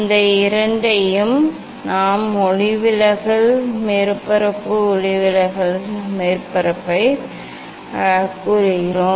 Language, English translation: Tamil, these two we are we tell the refracting surface refracting surface